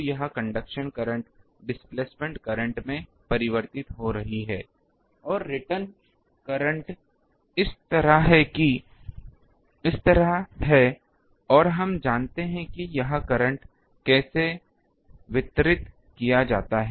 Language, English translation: Hindi, So, this current conduction current is getting converted to displacement current and the return current is like this and we know how this current is distributed